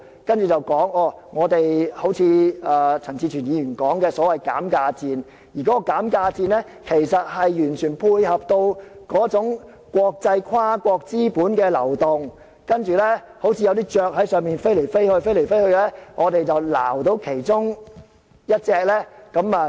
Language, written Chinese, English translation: Cantonese, 然後，又正如陳志全議員所說的減價戰，而這個減價戰，完全配合國際跨國資本的流動，好像有些雀鳥在天空中飛來飛去，我們抓着其中一隻，便有好處。, And the debate just like what Mr CHAN Chi - chuen has said is also about a price war one which goes along with the flow of international capital perfectly . It is like birds gliding in the sky and we should try catching one for our own good